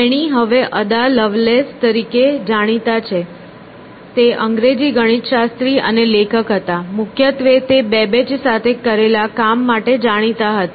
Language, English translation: Gujarati, She is now known as Ada Lovelace, was English mathematician and writer, chiefly known for the work that she did along with Babbage